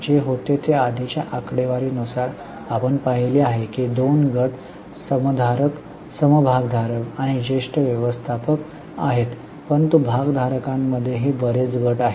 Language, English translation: Marathi, What happens is in the earlier figure we have seen that there are two groups, shareholders and senior managers, but within shareholders also there are many groups